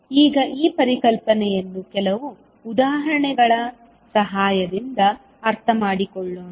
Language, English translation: Kannada, Now, let us understand this concept with the help of few examples